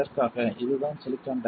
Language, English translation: Tamil, This is this is silicon dioxide